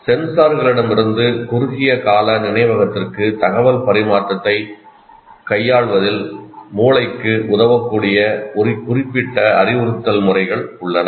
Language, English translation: Tamil, There are certain instructional methods can facilitate the brain in dealing with information transfer from senses to short term memory